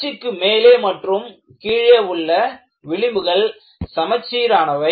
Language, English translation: Tamil, About this axis, the fringes in the top and at the bottom are symmetrical